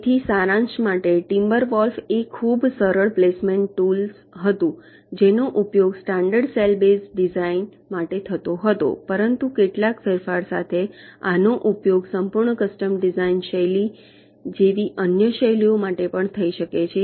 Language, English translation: Gujarati, so to summaries, timber wolf was one of the very successful placement tools that was used for standard cell base designs, but this, with some modification, can also be used for the other design styles, like full custom